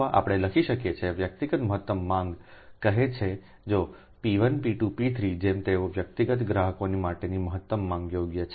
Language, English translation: Gujarati, or we can write: suppose individual maximum demand, say if p one, p two, p three, like this: if they are the maximum demand for individual ah consumers, right